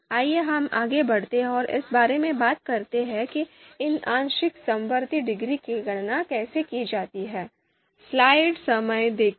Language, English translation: Hindi, So let us move forward and talk about you know how these partial concordance degrees they are computed